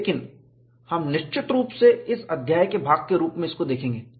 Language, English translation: Hindi, So, we will see all these aspects, as part of this chapter